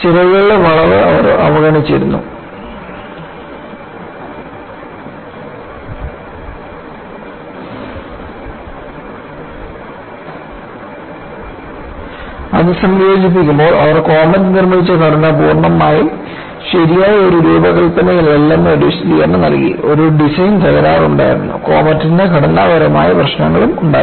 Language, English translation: Malayalam, They had ignored the flexing of the wings, to start with; then they found, when you incorporate that, that provided an explanation that the structure what they had made as Comet was not fully design proof; there was a design fault, and comet had structural problems